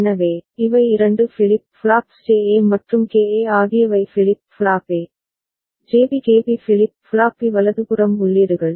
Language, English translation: Tamil, So, these are the 2 flip flops JA and KA are the inputs for flip flop A, JB KB for flip flop B right